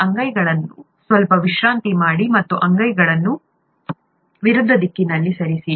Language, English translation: Kannada, Slightly rest these palms and move the palms in opposite directions